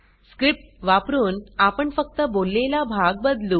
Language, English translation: Marathi, Using the script, we change the spoken part only